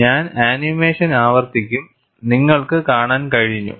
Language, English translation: Malayalam, I will repeat the animation, so you could see